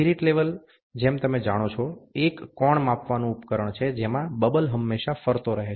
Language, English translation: Gujarati, The spirit level, as you are aware, is an angle measuring device in which the bubble always moves